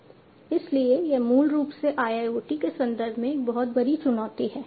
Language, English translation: Hindi, So, this basically is also a huge challenge in the context of IIoT